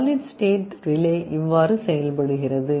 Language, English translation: Tamil, This is how solid state relay works